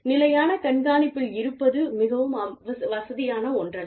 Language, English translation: Tamil, And, being under constant surveillance, is not something, very comfortable